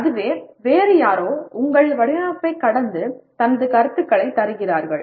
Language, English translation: Tamil, That is somebody else walks through your design and gives his comments